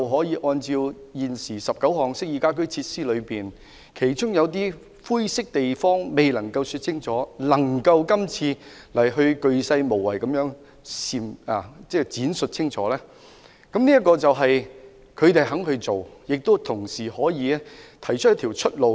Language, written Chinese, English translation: Cantonese, 有關19項適意家居設施，有些灰色地方未能說清楚，但是施政報告就光伏系統鉅細無遺地闡述清楚，說明政府肯去做，同時亦可以提供一條出路。, With regard to the 19 household amenity features there are certain grey areas that have not been clearly defined . The Policy Address however provides a thorough and clear elaboration on the photovoltaic system . This contends that the Government is willing to and is capable of providing a way out